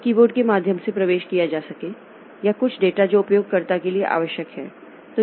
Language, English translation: Hindi, So, that may be entered through the keyboard or some data that is needed from the user